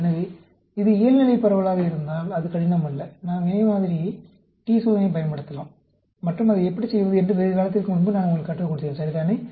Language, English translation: Tamil, So, if it is normally distributed, it is not difficult; we can use the paired sample t test, and I taught you how to do that long time back, right